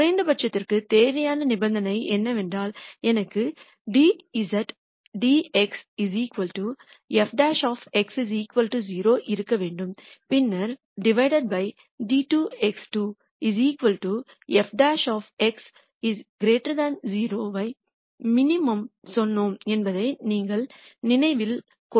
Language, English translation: Tamil, Then remember we said the necessary condition for a minimum is that I should have dz dx equal to f prime x equal 0 and then we said d squared z dx squares equal to f double prime x is greater than 0 for minimum